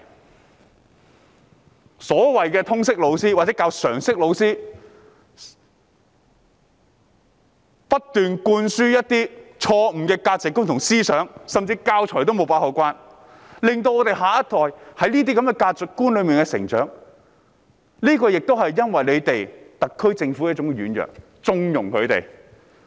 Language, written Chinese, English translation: Cantonese, 那些通識科或常識科老師不斷灌輸一些錯誤的價值觀和思想，而教材方面也未有妥善把關，令下一代在這種價值觀下成長，原因同樣是特區政府的軟弱和縱容。, Those teachers of Liberal Studies or General Studies keep instilling some wrong values and ideas and there is no proper monitoring of teaching materials . As a result our next generation has been raised under such values . The reason is also the feebleness and connivance of the SAR Government